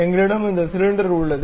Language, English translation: Tamil, So, we have this cylinder